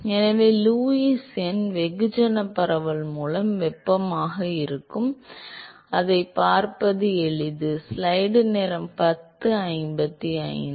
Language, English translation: Tamil, So, Lewis number will be thermal by mass diffusivity it is easy to see that